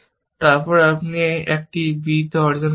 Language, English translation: Bengali, So, you will achieve on a b